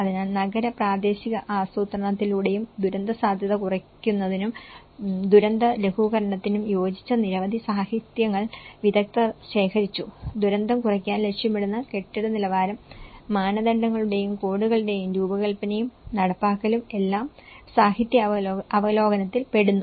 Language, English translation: Malayalam, So, the experts have collected a variety of literature, which is pertinent to disaster risk reduction and disaster mitigation through urban and regional planning and the design and implementation of building standards and codes that aim to reduce disaster risk